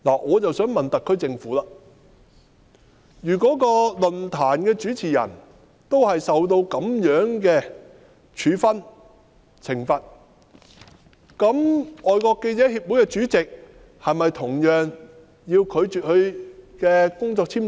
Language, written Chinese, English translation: Cantonese, 我想問特區政府，如果論壇主持人受到這樣的處分、懲罰，那香港是否亦應同樣拒批外國記者會主席的工作簽證？, I would like to ask the SAR Government if the host of that forum is subject to such punishment shouldnt the Government likewise refuse to issue a work visa to the President of FCC?